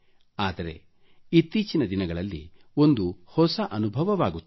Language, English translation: Kannada, But these days I'm experiencing something new